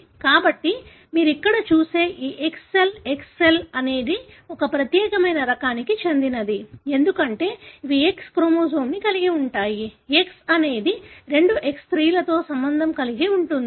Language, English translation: Telugu, So, this X cell that you see here, the X cell is of one particular type, because invariably these are having X chromosome, because X is, two X is associated with female